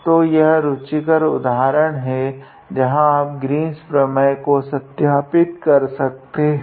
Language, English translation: Hindi, So, this was an interesting example where you verify the Green’s theorem